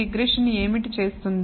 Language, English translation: Telugu, What is it that regression does